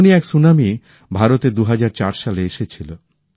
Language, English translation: Bengali, A similar tsunami had hit India in 2004